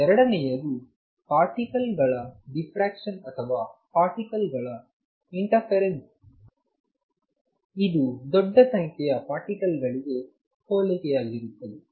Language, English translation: Kannada, Number 2 diffraction of particles or this is same as interference of particles is statistical for a large number of particles